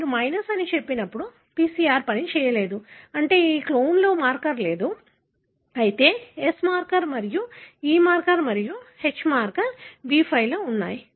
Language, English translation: Telugu, Here, when you say ÒminusÓ that means the PCR did not work, meaning that marker is not present in this clone, whereas S marker and E marker and H marker are present in B5